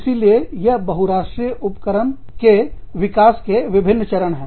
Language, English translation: Hindi, So, these are the different stages, in the development of multinational enterprises